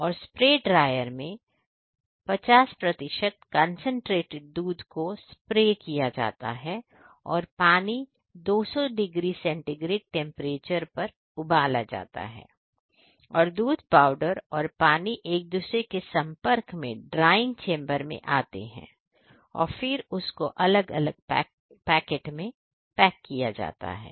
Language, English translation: Hindi, In a spray drier concentrated 50 percent concentrated milk is sprayed and water is coming in a contact with it is having a around 200 degree centigrade temperature both are coming in a contact and it comes under the drying chamber in a form of powder milk powder, then it is packed into the different type of packing